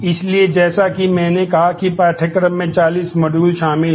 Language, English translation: Hindi, So, as I said the course comprise 40 modules